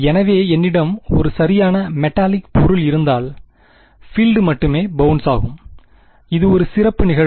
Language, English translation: Tamil, So, it is not, if I had a perfect metallic say object, then the field will only bounce of that is a special case of this